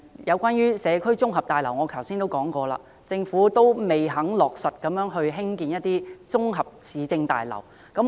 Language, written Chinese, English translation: Cantonese, 有關社區綜合大樓，我剛才已經提過，政府仍未肯落實興建綜合市政大樓。, I have mentioned above that the Government has not yet consented to construct municipal government complexes